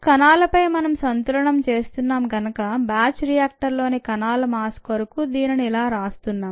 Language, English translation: Telugu, since we are doing the balance on cells, this would be written for the mass of cells in the batch bioreactor, since it is batch and a